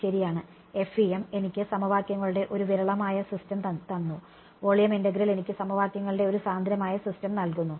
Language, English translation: Malayalam, Right, FEM gave me a sparse system of equations volume integral give me a dense system of equations